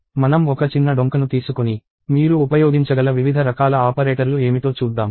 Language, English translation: Telugu, So, let us take a small detour and look at what are the different kinds of operators that you can use